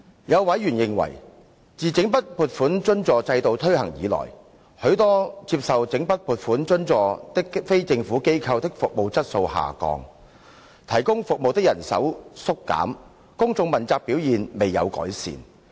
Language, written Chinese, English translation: Cantonese, 有委員認為，自整筆撥款津助制度推行以來，許多接受整筆撥款津助的非政府機構的服務質素下降，提供服務的人手縮減，公眾問責表現未有改善。, Some members took the view that since the implementation of the Lump Sum Grant Subvention System LSGSS service quality of many non - governmental organizations NGOs receiving subvention under LSGSS had deteriorated manpower resources allocated to service delivery had shrunk and public accountability of NGOs had not been improved